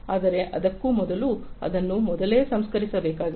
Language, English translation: Kannada, But before that it has to be pre processed